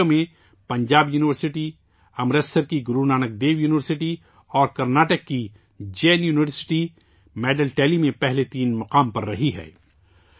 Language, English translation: Urdu, Our youth have broken 11 records in these games… Punjab University, Amritsar's Guru Nanak Dev University and Karnataka's Jain University have occupied the first three places in the medal tally